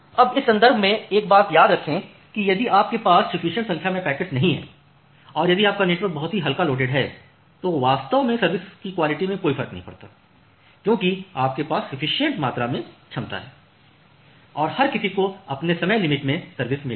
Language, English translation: Hindi, Now, in this context remember one thing that if you do not have sufficient number of packets and if your network is very lightly loaded then it does not matter actually, then quality of service indeed does not matter because you have a sufficient amount of capacity and everyone will get served within their time bound